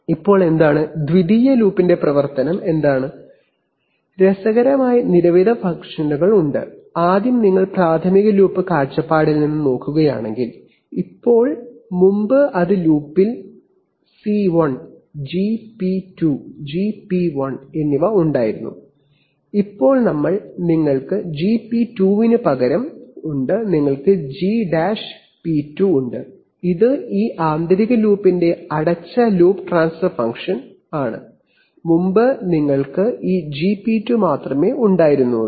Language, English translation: Malayalam, Now what is the, what is the function of the secondary loop, there are several interesting functions, firstly if you look at it from the primary loop point of view, so now previously it was in the loop there was C1, Gp2 and Gp1, now we, you have in place of Gp2, you have G’p2, which is the closed loop transfer function of this inner loop, previously you had only this gp2